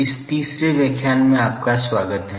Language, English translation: Hindi, Welcome to this third lecture